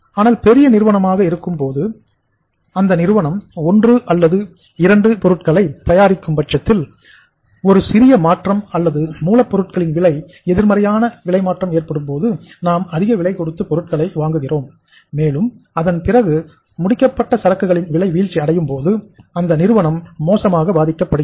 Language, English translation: Tamil, But if the size of the organization is large and if and if they are manufacturing one or two products only, in that case a minor change, a negative change in the prices of the raw material if we have purchased the material at the high price and if the prices of the finished product go down then the firm will be badly hit